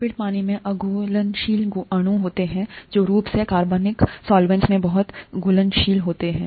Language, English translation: Hindi, ‘Lipids’ are water insoluble molecules which are very highly soluble in organic solvents such as chloroform, okay